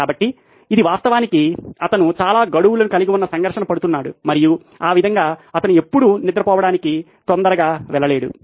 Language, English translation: Telugu, So, this is actually the conflict that he has too many deadlines and that way he would never be able to actually go to bed early